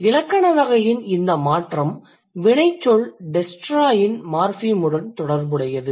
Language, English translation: Tamil, And this change in the grammatical category is related to the morphem that it is associated with the verb destroy